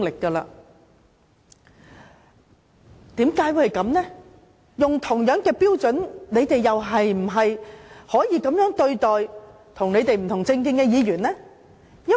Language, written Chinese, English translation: Cantonese, 根據同一標準，他們是否也可以這樣對待與他們政見不同的議員？, By the same token can they treat Members holding different political views in the same way?